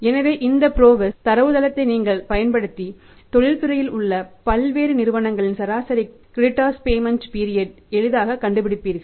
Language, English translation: Tamil, So, if you refer to this PROWESS database you will easily find out the industry average of the credit period payment period by the different companies in in in in in industry or in the different industries